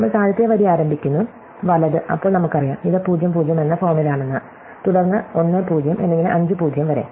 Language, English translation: Malayalam, So, we start the bottom row, right, then we know, that this is of the form (, then ( and so on to (, right